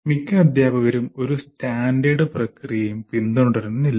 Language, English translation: Malayalam, You don't particularly follow a standard process